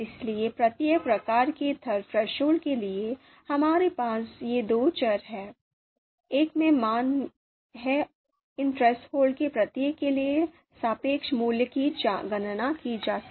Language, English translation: Hindi, So for each type of threshold, we have these two variables, one is indicating you know is having the values so that the relative value for each of these threshold can be computed